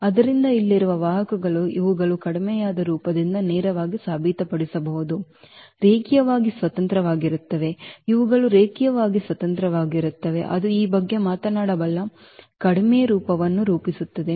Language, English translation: Kannada, So, these vectors here one can easily prove directly from the reduced form that these are linearly independent, these are linearly independent that form the reduced form one can talk about this